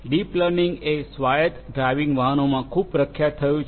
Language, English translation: Gujarati, Deep learning has become very popular in autonomous driving vehicles